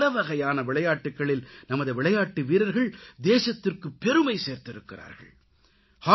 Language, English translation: Tamil, In different games, our athletes have made the country proud